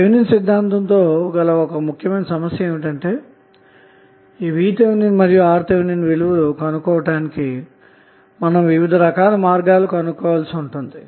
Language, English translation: Telugu, So the problem with the Thevenin’s theorem is that you have to identify the ways how you will calculate the value of VTh and RTh